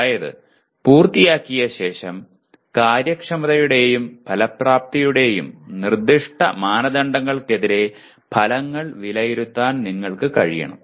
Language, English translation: Malayalam, That is having completed, you must be able to evaluate the outcomes against specific criteria of efficiency and effectiveness